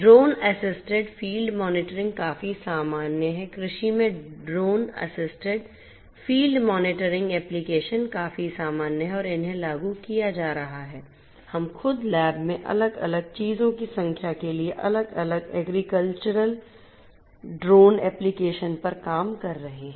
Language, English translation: Hindi, Drone assisted field monitoring is quite common drone assisted field monitoring applications in agriculture are quite common and are being implemented, we ourselves in the lab we are working on different agricultural drone applications for doing number of different things